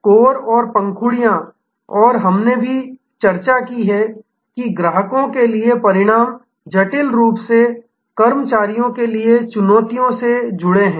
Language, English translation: Hindi, The core and the petals and we have also discussed that the results for customers are intricately linked to the challenges for the employees